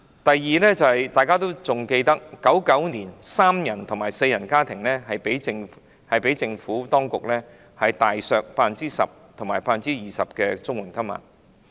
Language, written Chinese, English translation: Cantonese, 第二，大家應該還記得，政府當局於1999年將三人和四人家庭的綜援金額大幅削減 10% 及 20%。, Second we should remember that the Administration imposed substantial cuts on the amounts of CSSA payment for three - member and four - member families by 10 % and 20 % respectively in 1999